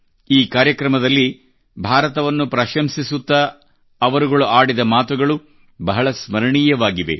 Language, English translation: Kannada, The words that were said in praise of India in this ceremony are indeed very memorable